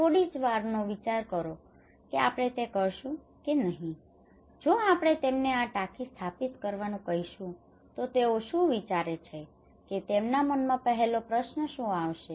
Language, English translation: Gujarati, Just think about for a seconds that will we do it or not so if we ask them to install this tank what they will think what first question will come to their mind